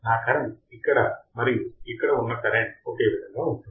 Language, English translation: Telugu, My current through here, and that current through here would be same